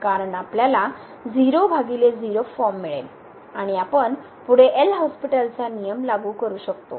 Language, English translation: Marathi, Because then we will get by form and we can further apply the L’Hospital’s rule